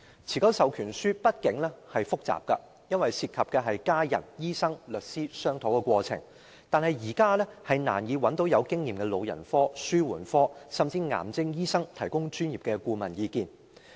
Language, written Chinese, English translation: Cantonese, 持久授權書畢竟是複雜的，因為涉及家人、醫生和律師的商討過程，但現時我們難以找到具經驗的老人科、紓緩科，甚至癌症專科醫生提供專業意見。, The enduring power of attorney nevertheless is complicated because it involves processes of negotiations among family members doctors and lawyers but now it is difficult for us to find experienced specialists in geriatrics palliative care and even oncology to offer professional advice